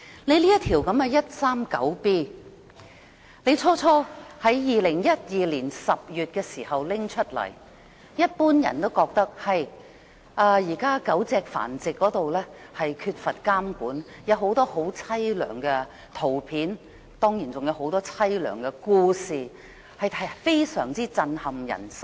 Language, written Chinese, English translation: Cantonese, 香港法例第 139B 章《公眾衞生規例》在2012年10月提出時，市民普遍認為狗隻繁殖缺乏監管，情況悽涼，許多狗隻受虐的相片或故事都非常震撼人心。, When the Public Health Regulations Cap . 139B was introduced in October 2012 the public generally agreed that owing to the lack of regulation on dog breeding many dogs suffered miserably . Pictures or stories of dogs being abused were immensely shocking